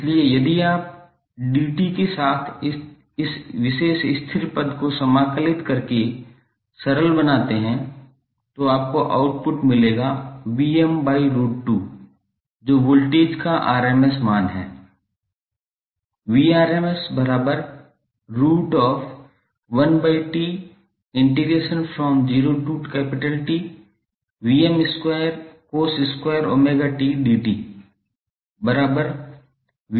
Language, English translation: Hindi, So if you simplify just by integrating dt this particular constant term with dt you will get the output as Vm by root 2